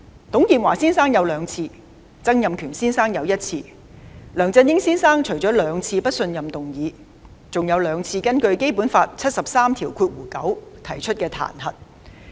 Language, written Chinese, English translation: Cantonese, 董建華先生有兩次，曾蔭權先生則有一次，而梁振英先生除面對兩次不信任議案外，還有兩次根據《基本法》第七十三九條提出的彈劾。, Mr TUNG Chee - hwa and Mr Donald TSANG have respectively faced it twice and once and Mr LEUNG Chun - ying in addition to two motions of no confidence has faced impeachment under Article 739 of the Basic Law twice